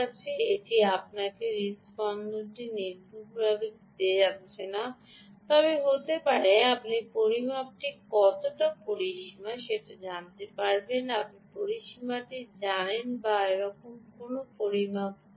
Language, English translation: Bengali, its not going to give you the heartbeat accurately, but maybe ah you know the range in which the the measurement is, the, the mec, the, you know the range or which the such a measurement has happened